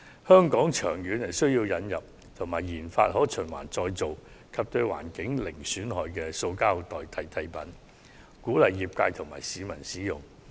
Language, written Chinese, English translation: Cantonese, 香港長遠而言有需要引入及研發可循環再造、對環境零損害的塑膠代替品，鼓勵業界及市民使用。, In the long run Hong Kong needs to introduce and develop recyclable materials that pose no harm to the environment and can be a substitute for plastic and encourage their use by relevant sectors and members of the public